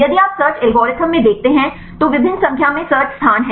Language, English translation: Hindi, If you look into the search algorithm, there are various number of search space